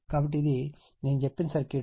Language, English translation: Telugu, So, so this is the circuit I told you right